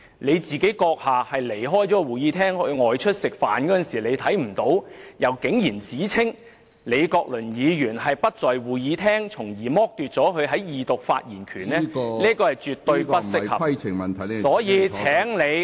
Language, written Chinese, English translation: Cantonese, 主席閣下離開會議廳外出吃飯看不到李議員，卻指他不在會議廳，從而剝奪他在二讀的發言權，這是絕對不適合......所以，請你......, President you did not see Prof LEE because you left the Chamber for lunch but then you accused him of being absent from the Chamber and then deprived him of the right to speak during the Second Reading